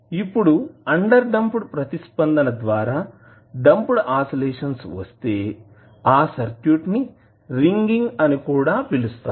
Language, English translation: Telugu, Now the damped oscillation show by the underdamped response of the circuit is also known as ringing